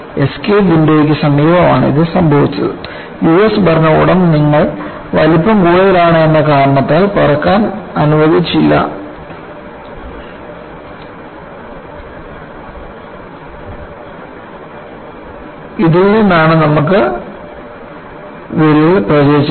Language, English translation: Malayalam, It happened near the escape window that US administration was not allowing it to fly because the size was larger than what it could be, and you had the crack propagated from this